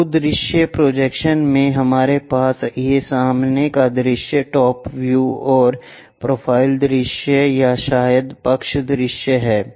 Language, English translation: Hindi, In multi view projections, we have these front view, top view and profile view or perhaps side views